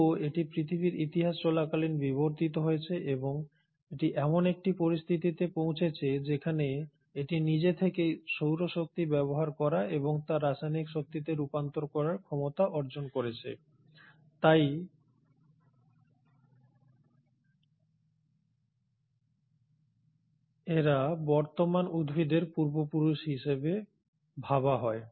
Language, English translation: Bengali, It has still evolved during the course of EarthÕs history and it has come to a situation where it has developed a capacity to on its own utilise solar energy and convert that into chemical energy, and hence are believed to be the ancestors of present day plants